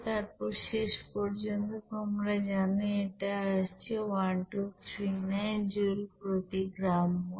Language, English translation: Bengali, Then finally, it is you know coming as 1239 you know joule per gram mole